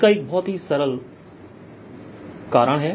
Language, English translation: Hindi, there's a very simple reason for that